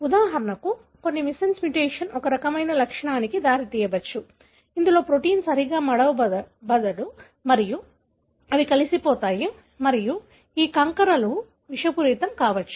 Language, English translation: Telugu, For example, some missense mutation may lead to a kind of property, wherein the protein do not fold properly and they aggregate and these aggregates could be toxic